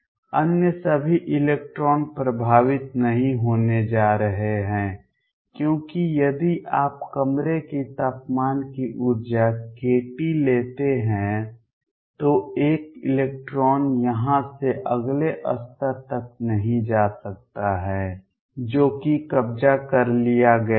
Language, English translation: Hindi, All other electrons are not going to be affected because an electron out here if you take energy k t of the room, temperature cannot go and move to the next level which is occupied